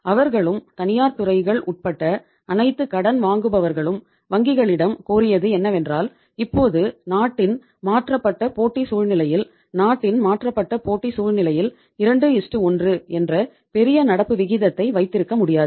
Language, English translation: Tamil, They as well as all the borrowers including private sectors they requested the banks that now in the changed competitive scenario of the country, in the changed competitive scenario of the country it is not possible to have say huge current ratio that is 2:1